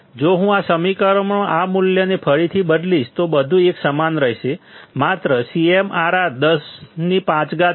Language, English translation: Gujarati, If I substitute this value again in this equation, the things remain the same; only CMRR is 10 raised to 5